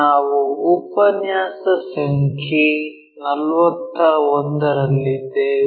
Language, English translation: Kannada, We are at lecture number 41